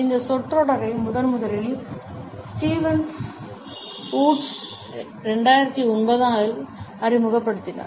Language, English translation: Tamil, The phrase was first all introduced by Stevens Woods in 2009